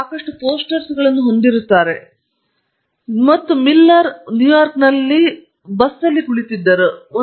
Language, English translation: Kannada, They will have lots of posters, and Miller was apparently sitting in a bus in New York